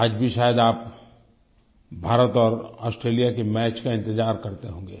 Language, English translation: Hindi, I am sure you are eagerly waiting for the match between India and Australia this evening